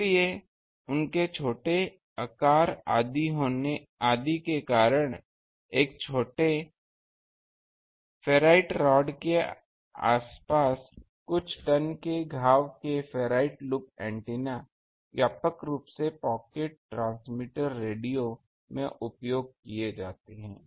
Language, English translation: Hindi, So, because of their small size etcetera ferrite loop antennas of few tones wound around a small ferrite rod are used widely in pocket transmitter radio